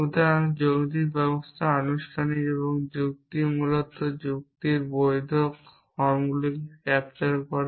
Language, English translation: Bengali, So, the logical system is formal and the logic is basically captures valid forms of reasoning